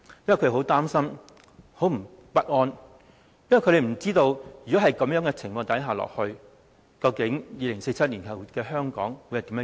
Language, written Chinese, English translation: Cantonese, 因為他們很擔心，感到很不安，因為他們不知道，如果這種情況持續，究竟2047年後的香港會變成怎麼樣？, That is because they are worried and anxious . If the situation keeps deteriorating they wonder what Hong Kong will be like after 2047